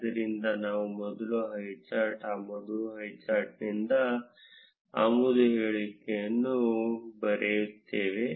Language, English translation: Kannada, So, we will first write the import statement from highcharts import highchart